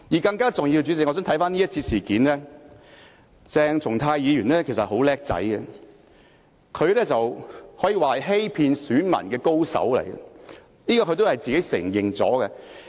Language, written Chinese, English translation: Cantonese, 更重要的是，代理主席，回看這次事件，鄭松泰議員其實很聰明，他可以說是欺騙選民的高手，這一點他也承認了。, More importantly Deputy President if we review the incident we will find that Dr CHENG Chung - tai was actually very smart and can be described as very good at cheating electors